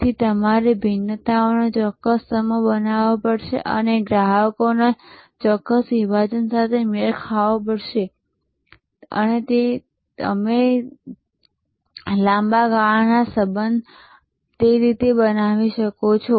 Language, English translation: Gujarati, So, you have to create a certain set of differentiators and match a particular segment of customers and that is how you can build long term relationships